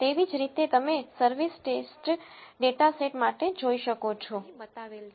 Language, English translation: Gujarati, Similarly, you can see for the service test data set which is shown here